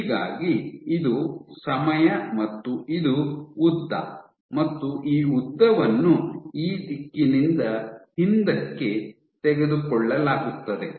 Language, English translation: Kannada, So, this is time and this is length, so this length is taken from this direction backward